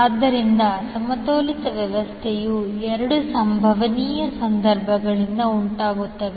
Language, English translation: Kannada, So, unbalanced system is caused by two possible situations